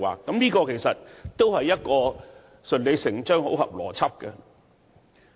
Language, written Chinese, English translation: Cantonese, 這做法相當順理成章，符合邏輯。, This is a reasonable and logical approach